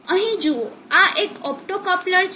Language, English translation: Gujarati, See here this is an optocoupler